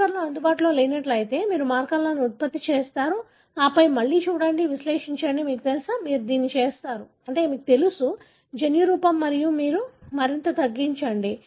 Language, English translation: Telugu, If markers not available you generate markers and then look at again, analysize, you know, you do this, you know, genotyping and then you narrow down further